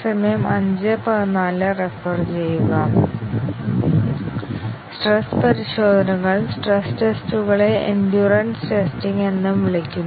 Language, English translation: Malayalam, Stress tests; the stress tests is also called as endurance testing